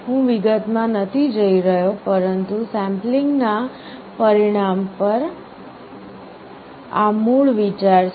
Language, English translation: Gujarati, I am not going into detail, but this is the basic idea on the result of sampling